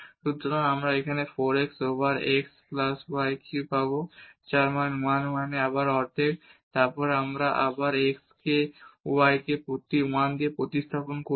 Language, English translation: Bengali, So, we will get here 4 x over x plus y cube whose value at 1 1 is is again half, then we substitute x and y as 1 1